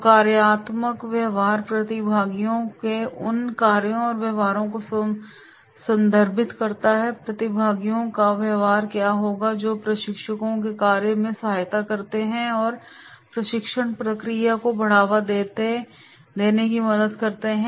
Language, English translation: Hindi, So functional behaviour refers to those actions and behaviour of the participants, what will be the behaviour of the participants that assist in the task of the trainers and help in the promotion of the training process